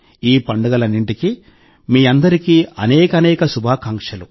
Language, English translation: Telugu, Many best wishes to all of you for all these festivals too